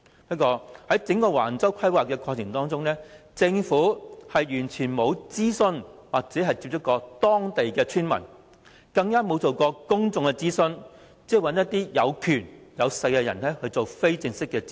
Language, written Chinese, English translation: Cantonese, 不過，在整個橫洲規劃的過程中，政府完全沒有與當地村民接觸，更加沒有諮詢公眾，只是找權勢人士進行非正式諮詢。, However throughout the planning process for Wang Chau development the Government has never contacted the local villagers nor consulted the public; it has only carried out informal consultation with those in power